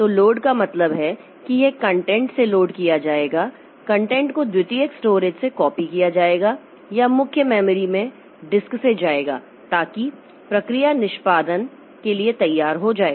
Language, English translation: Hindi, So, load means it will be loaded from the content will be copied from the secondary storage or disk into the main memory so that the process becomes ready for execution